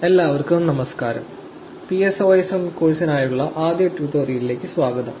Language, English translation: Malayalam, Hi everyone, welcome to the first tutorial for the PSOSM course